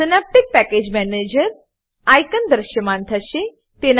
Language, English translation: Gujarati, Synaptic Package Manager icon will be visible